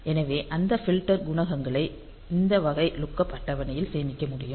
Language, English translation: Tamil, So, they can be the filter coefficients can be stored in this type of lookup table